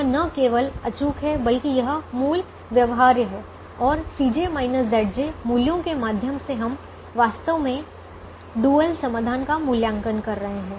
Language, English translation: Hindi, this is not only infeasible but it is basic, feasible, and through the c j minus z j values we are actually evaluating the dual solution